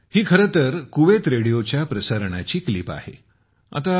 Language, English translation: Marathi, Actually, this is a clip of a broadcast of Kuwait Radio